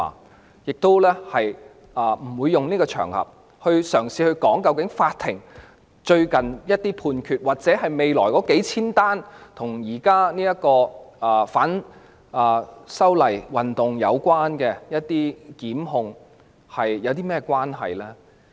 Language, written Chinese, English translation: Cantonese, 我亦不會透過這個場合，嘗試談論法庭最近的一些判決，或者未來數千宗與現時反修例運動有關的檢控個案。, Neither will I attempt to talk about some judgments recently handed down by the Court or the thousands of prosecution cases related to the current anti - amendment movement on this occasion